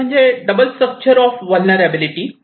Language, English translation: Marathi, The first one is the double structure of vulnerability